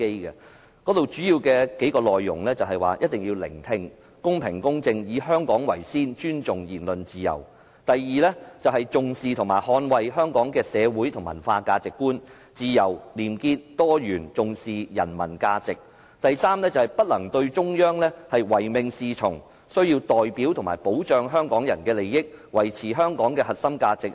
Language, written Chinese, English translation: Cantonese, 當中數個主要內容是：一定要懂得聆聽、公平和公正、以香港為先和尊重言論自由；第二，重視和捍衞香港的社會和文化價值觀、自由、廉潔、多元和重視人民的價值；及第三，不能對中央唯命是從，需要代表和保障香港人的利益，維持香港的核心價值。, I mentioned the following few major aspects the next Chief Executive must be able to listen and be fair and impartial while putting Hong Kong first and respecting the freedom of speech; second heshe must attach importance to and safeguard Hong Kongs social and cultural values freedom probity diversity and give priority to the people; third instead of just blindly obeying the Central Authorities heshe has to represent and protect Hongkongers interests and safeguard Hong Kongs core values